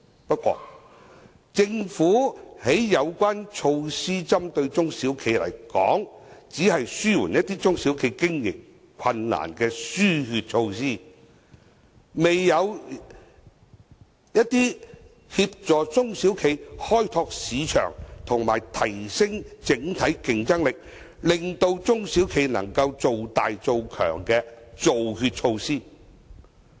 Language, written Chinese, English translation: Cantonese, 不過，政府針對中小企的有關措施，只是紓緩一些中小企經營困難的"輸血"措施，未有協助中小企開拓市場及提升整體競爭力，令中小企能做大做強的"造血"措施。, Nonetheless the relevant measures proposed by the Government for SMEs are just some blood - transfusing measures to relieve the hardships of SMEs in running their businesses . They are not blood - producing measures which enable SMEs to expand and prosper by assisting them in exploring other markets and enhancing their overall competitiveness